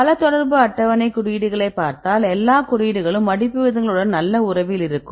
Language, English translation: Tamil, So, if you see these indices all the indices right they showed good relation with the folding rates